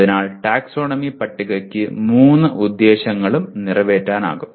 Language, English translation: Malayalam, So taxonomy table can serve all the three purposes